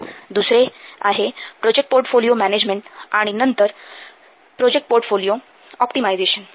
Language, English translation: Marathi, Another is project portfolio management and then project portfolio optimization